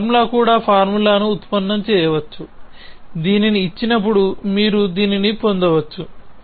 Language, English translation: Telugu, Even this formula we can derive this formula, given this you can derive this